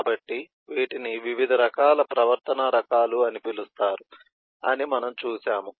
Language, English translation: Telugu, so these we have seen as called the different types of behavioral type and so on